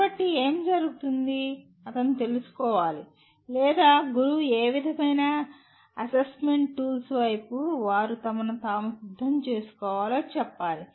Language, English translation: Telugu, So what happens, he has to find out or the teacher has to tell him what kind of assessment tools towards which they have to prepare themselves